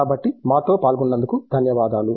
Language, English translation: Telugu, So, thank you for joining us